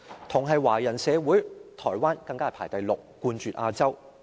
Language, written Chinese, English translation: Cantonese, 同是華人社會，台灣更排行第六，冠絕亞洲。, Taiwan also a Chinese society even ranks sixth the highest in Asia